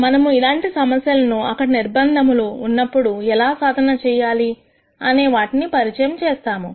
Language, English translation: Telugu, We will introduce the notions of how to solve these problems when there are constraints